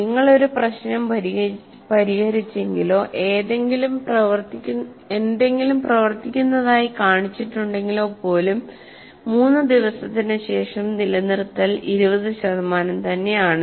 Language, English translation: Malayalam, That is if you have solved a problem or if you have shown something working, but still after three days, the retention is only 20%